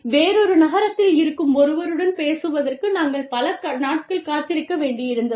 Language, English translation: Tamil, And, you had to wait for days, to even speak to somebody, in another city